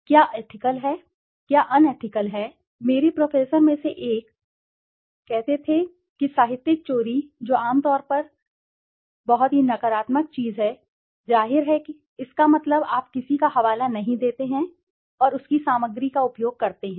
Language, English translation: Hindi, What is ethical, what is unethical, because many a times, I will tell you very interesting, one of my prof, he used to say that plagiarism which is generally taken to be a very highly negative thing, obviously it is negative, that means you do not cite somebody and use his material